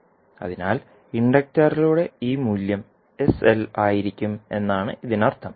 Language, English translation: Malayalam, So, it means that this value of inductor will be sl